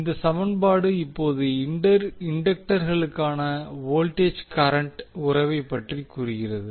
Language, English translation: Tamil, So this particular equation now tells the voltage current relationship for the inductors